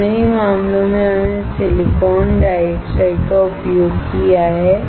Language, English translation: Hindi, In both the cases, we have used the silicon dioxide